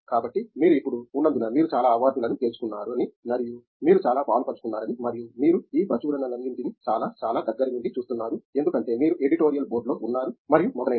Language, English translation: Telugu, So, because you have now I mean you have won several awards and so you have been very involved and you are also seeing all these journal from much, much close perspective because you are in the editorial board and so on